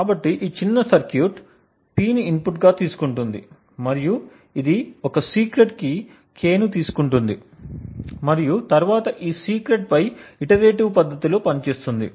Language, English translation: Telugu, So, this small circuit it takes as an input P and it takes a secret K and then operates on this secret in an iterative manner